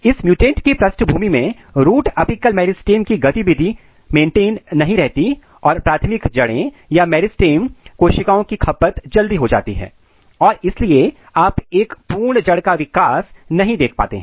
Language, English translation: Hindi, So, in this mutant background the root apical meristem activity is not maintained and the primary root or the meristem cells are getting consumed early and that’s why you cannot see a proper root development